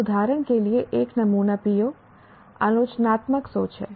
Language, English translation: Hindi, Now, a sample PO, for example, is critical thinking